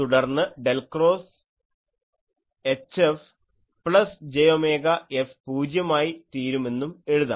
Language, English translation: Malayalam, So, I write what is del cross J is minus j omega rho e